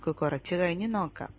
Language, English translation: Malayalam, We will see that later